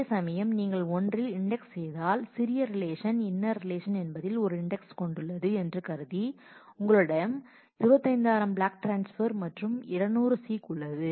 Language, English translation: Tamil, Whereas, if you do index to one on the assuming that the smaller relation the inner relation has a index then you have 25,000 block transfer and seek